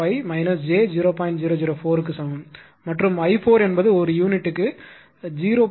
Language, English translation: Tamil, 004 per unit and i 4 is equal to 0